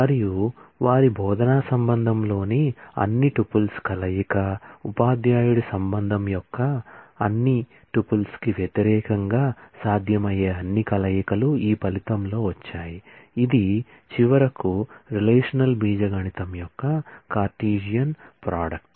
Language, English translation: Telugu, And the combination of all tuples in their instructor relation, against all tuples of the teacher’s relation all possible combinations have come in this result, which eventually is a cartesian product of the relational algebra